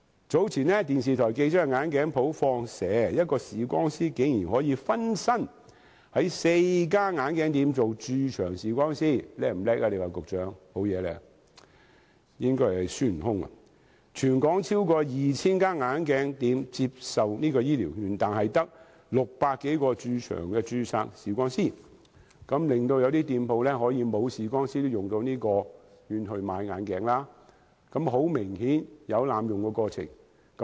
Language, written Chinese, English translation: Cantonese, 早前電視台記者到眼鏡店"放蛇"，一位視光師分身在4間眼鏡店當駐場視光師——局長，你說他是不是很厲害，應該是孫悟空——全港超過 2,000 間眼鏡店接受醫療券，但只有600多名駐場註冊視光師，一些店鋪即使沒有駐場視光師，長者也可使用醫療券買眼鏡，很明顯有濫用的情況。, Earlier some television journalists conducted a sting operation against a certain optical shop they found that an optometrist was assuming the task as the resident optometrist in four optical shops at the same time―Secretary do you think he is marvellous? . He should be the monkey king himself―more than 2 000 optical shops in Hong Kong are accepting health care vouchers but there are only 600 odd resident registered optometrists . Even though some shops do not have their resident optometrist on site elderly people can still use the health care vouchers to purchase optical products